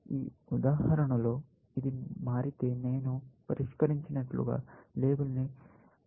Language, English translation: Telugu, In this example, if this has changed, I will get a new label solved